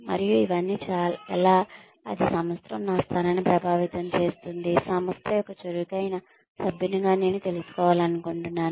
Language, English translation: Telugu, And, how is all this, that is going to, affect my position in the organization, is what, I would like to know, as an active member of the organization